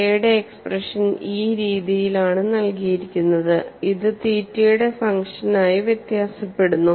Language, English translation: Malayalam, The expression of K is given in this fashion and it varies as a function of theta